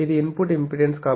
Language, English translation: Telugu, This is it is input impedance